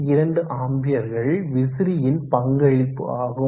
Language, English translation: Tamil, 2 amps the contribution of the fan